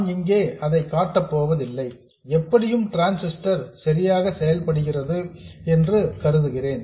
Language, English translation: Tamil, I won't show the connection here, I'll assume that somehow the transistor is biased correctly